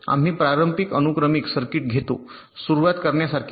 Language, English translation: Marathi, we take a conventional sequential circuit just like this to start with